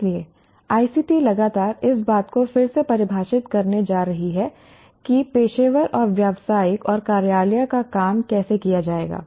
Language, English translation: Hindi, So, ICTs are going to continuously redefine how professional and business and office work is going to be carried